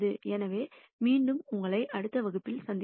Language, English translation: Tamil, So, I will see you in the next class